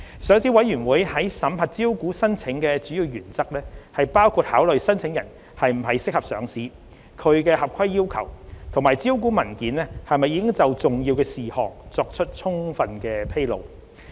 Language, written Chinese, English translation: Cantonese, 上市委員會審核招股申請的主要原則包括考慮申請人是否適合上市、其合規要求，以及招股文件是否已就重要事項作出充分披露。, The major principles adopted by the Listing Committee in approving listing applications include considering whether applicants are suitable for listing their compliance of regulatory requirements and whether sufficient disclosure of material matters have been made in the listing documents